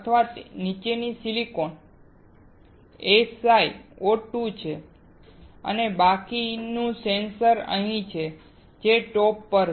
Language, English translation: Gujarati, The silicon below this is SiO2, and then the rest of the sensor is here